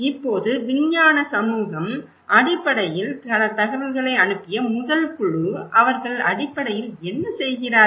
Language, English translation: Tamil, Now, the scientific community basically, the first group the senders of the informations what do they do basically, I am talking about the scientist